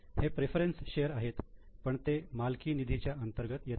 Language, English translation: Marathi, Not equity share, this is a preference share, but this is under owner's funds